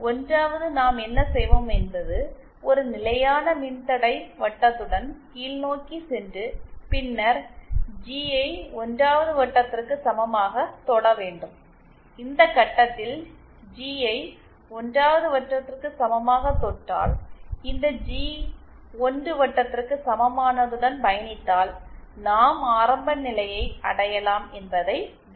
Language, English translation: Tamil, So, 1st what we will do is that will go downwards along a constant resistance circle and then touch the G equals to 1 circle at this point once we touch G equals to 1 circle at this point, we note that if we go along this G equals to 1 circle, we can reach the origin